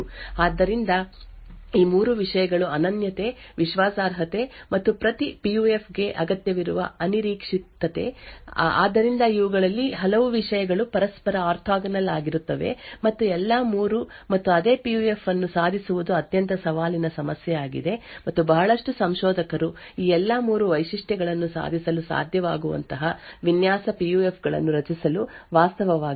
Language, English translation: Kannada, So, these are the 3 things the uniqueness, reliability, and the unpredictability that is required for every PUF, So, many of these things are orthogonal to each other and achieving all 3 and the same PUF is extremely challenging problem and a lot of researchers are actually working on this to actually create design PUFs which could achieve all of these 3 features